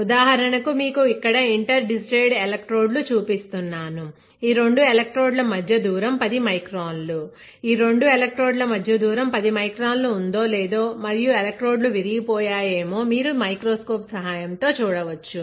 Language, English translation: Telugu, For example, if I show you the inter digitated electrodes, whether the width of those inter digitated lines are 10 microns if we have fabricated for 10 microns or not, whether the spacing between two electrodes is 10 micron, are the electrode short, are a electrodes broken right, this everything you can see with the help of the microscope